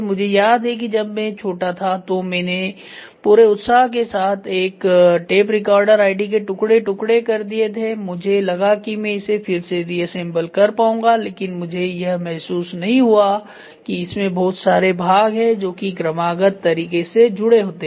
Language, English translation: Hindi, I remember when I was young I dismantled a tape recorder id is mantled it completely with enthusiasm that I will be able to put it back, I did not realise that there are so many parts which are which have to go in the selective fashion